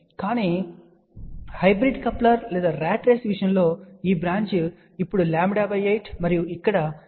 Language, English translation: Telugu, But in case of hybrid coupler or ratrace, this branch is now lambda by 8 and this branch here is 3 lambda by 8